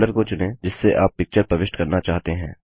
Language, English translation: Hindi, Choose the folder from which you want to insert a picture